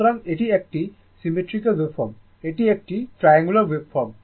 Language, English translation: Bengali, So, it is a symmetrical waveform this is a triangular wave form this is a triangular wave form